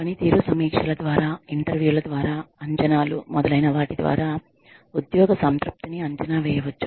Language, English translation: Telugu, Job satisfaction could be evaluated, through performance reviews, through interviews, through appraisals, etcetera